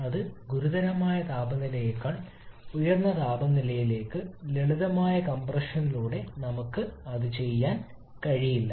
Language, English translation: Malayalam, That is for any temperature level above critical temperature we cannot do it by simply a simple compression